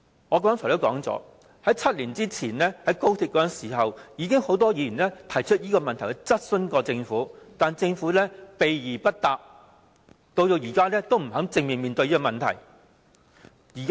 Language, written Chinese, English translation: Cantonese, 我剛才提及，在7年前決定興建高鐵時，已經有很多議員就此質詢政府，但政府避而不答，到現在仍不肯正面面對這個問題。, As I have just mentioned many Members did query the lawfulness of the arrangement as early as seven years ago when the Government decided to construct the XRL . However for years the Government has kept beat around the bush . Even today it still refuses to address this problem squarely